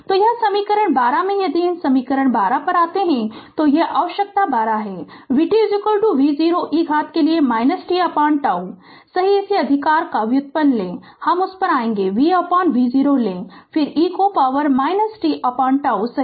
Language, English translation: Hindi, So, it in equation 12 if you come to the these equation 12 this is your equation 12, v t is equal to V 0 e to the power minus t upon tau right take the derivate of this right I will come to that you take the you take v by V 0 then e to the power minus t by tau right